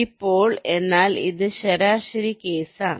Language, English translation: Malayalam, now, but this is the average case